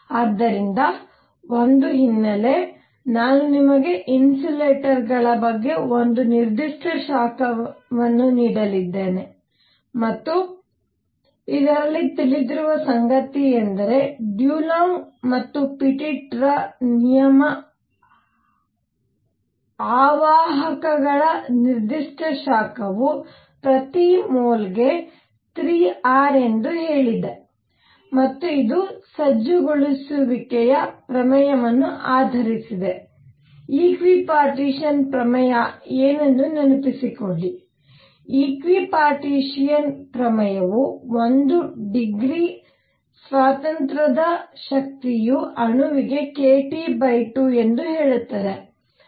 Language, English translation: Kannada, So, a background, background I am going to give you a specific heat of insulators and what was known in this was something call that Dulong Petit law that said that specific heat of insulators is 3 R per mole and this was based on equipartition theorem; recall what equipartition theorem is; equi partition theorem says that energy per degree of freedom is k T by 2 for a molecule